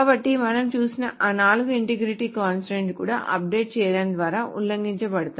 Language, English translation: Telugu, So all those four integrity constraints that we saw are also violated by updating